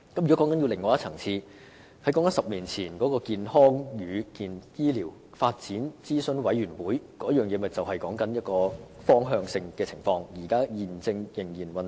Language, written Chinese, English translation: Cantonese, 如果談到另一層次，於10年前成立的健康與醫療發展諮詢委員會已是一個方向性的架構，現時亦仍在運作中。, Talking about work at another level HMDAC established a decade ago is a structure of a directional nature and is still operating now